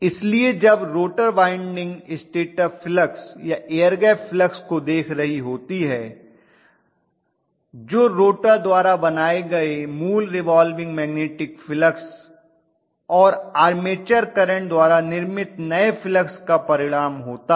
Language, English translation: Hindi, So when the rotor winding is looking at stator flux or the air gap flux which is the resultant of the original revolving magnetic fields flux created by the rotor plus whatever is the new flux created by the armature current